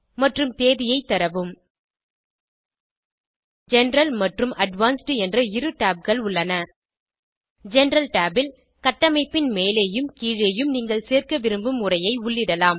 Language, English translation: Tamil, Enter the Title, Author name and Date There are two tabs the general and the advanced In the General Tab you can enter the text you want to above the construction and below the construction